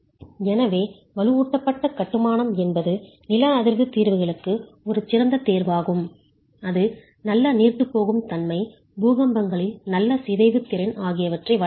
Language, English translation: Tamil, So, masonry, reinforced masonry is an excellent choice for seismic solutions as far as providing good ductility, good deformation capacity in earthquakes